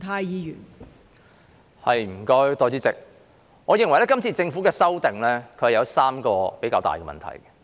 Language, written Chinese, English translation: Cantonese, 代理主席，我認為政府提出的修訂有3個比較重要的問題。, Deputy President I think that there are three relatively important issues concerning the legislative amendments proposed by the Government